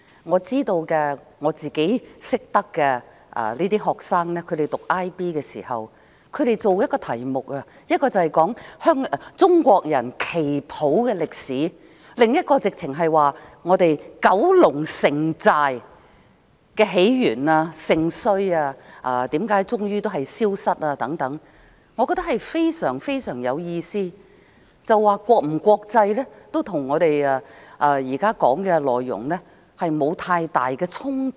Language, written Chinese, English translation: Cantonese, 我認識一些讀 IB 的學生，他們要研究的其中一個題目，是中國旗袍的歷史，另一個則是九龍城寨的起源、盛衰，為何最終消失等，我認為非常有意義，國際與否，跟我們現在討論的內容沒有太大衝突。, I know some IB students and I found that one of their study projects was the history of Chinese qipao and another one was the origin rise and fall of Kowloon Walled City as well as the reason for its final demise . I think these topics are very meaningful . Whether they are international or not does not have much conflict with the topic we are discussing now